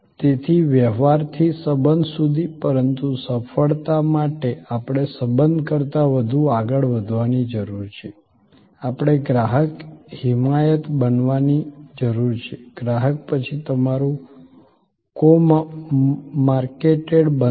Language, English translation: Gujarati, So, from transaction to relation, but for success, this continuous success, we need to go further than the relation, we need to create customer advocacy, customer then becomes your co marketed